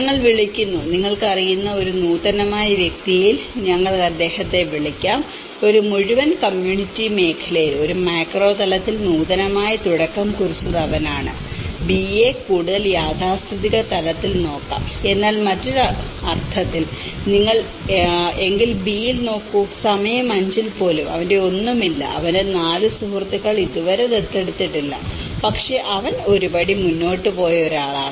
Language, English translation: Malayalam, And we call; we can call him at an innovative at you know, in a whole community sector, he is the one who started that is innovative at a macro level and B could be looked in a more of a conservative level but in the other sense, if you look at it in the B, even at time 5, his none of; 4 of his friends have not still adopted but he is one who has taken a step forward